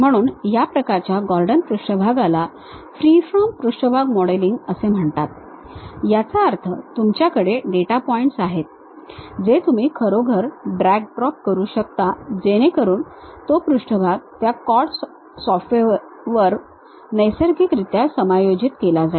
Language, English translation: Marathi, So, these kind of Gordon surface is called freeform surface modelling, that means, you have data points you can really drag drop, so that surface is naturally adjusted on that CAD software